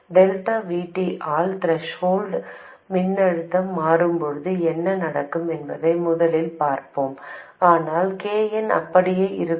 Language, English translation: Tamil, First, let's look at what happens when the threshold voltage changes by delta VT, but KN remains as it was